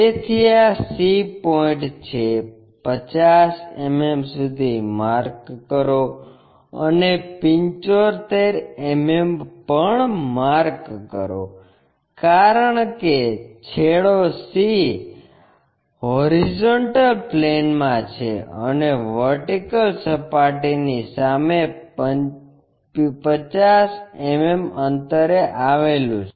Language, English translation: Gujarati, So, this is the c point locate 50 mm cut and also 75 mm cut, because end C is in HP and 50 mm in front of vertical plane, I am sorry